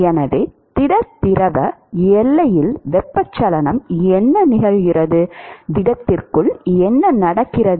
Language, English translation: Tamil, So, what occurs is the convection at the solid liquid boundary, what happens inside the solid